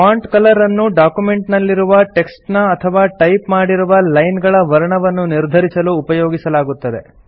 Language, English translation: Kannada, The Font Color is used to select the color of the text in which your document or a few lines are typed